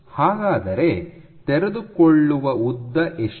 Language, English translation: Kannada, What is the unfolded length